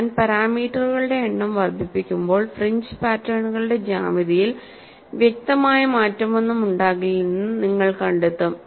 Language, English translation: Malayalam, And as I increase the number of parameters, you will find there would not be any perceptible change in the geometry of fringe patterns